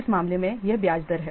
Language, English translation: Hindi, In this case, this is the interest rate